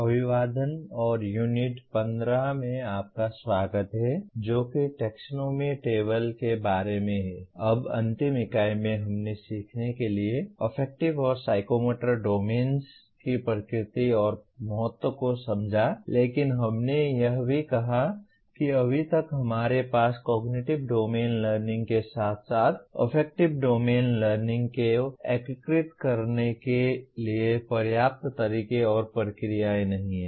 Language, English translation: Hindi, Now in the last unit we understood the nature and importance of affective and psychomotor domains to learning but we also said we as yet we do not have adequate methods and processes to integrate affective domain learning along with the cognitive domain learning